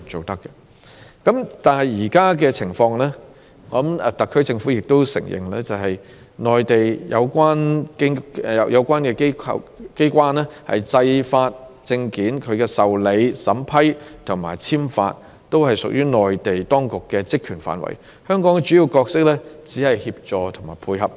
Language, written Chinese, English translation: Cantonese, 但是，按現時的情況，特區政府也承認是由內地有關機關處理一切發證事宜，申請的受理、審批及證件簽發均屬於內地當局的職權範圍，香港的主要角色只在於協助和配合。, However under the current circumstances I think the SAR Government also admits that all matters concerning the issuing of OWPs are handled by the relevant Mainland authorities . The acceptance vetting and approval of OWP applications as well as the issuing of OWPs are all within the remit of the Mainland authorities and the main role of Hong Kong is merely to provide assistance and support